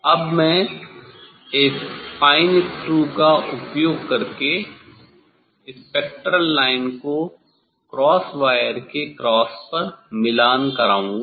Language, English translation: Hindi, Now I will use this fine screw to make the spectral line coincide to the cross of the cross wire what is this position